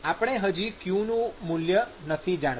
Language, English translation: Gujarati, We do not know the qx value, right